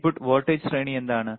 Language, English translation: Malayalam, What is the input voltage range